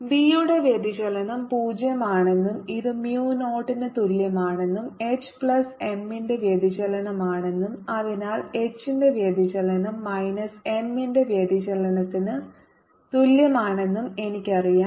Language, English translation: Malayalam, as we know that divergence of b equal to zero and divergence of m is proportional to divergence of b, so divergence of m is also equal to zero